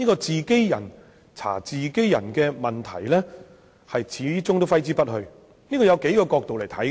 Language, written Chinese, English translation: Cantonese, "自己人查自己人"的質疑始終揮之不去，這可從多個角度作出闡述。, The problem of peer investigation lingers and this can be elaborated from various different perspectives